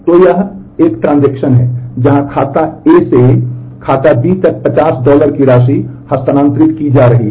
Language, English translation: Hindi, So, this is a transaction where an amount of 50 dollar is being transferred from account A to account B